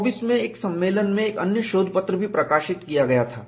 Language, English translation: Hindi, There was also another paper published in a conference in 1924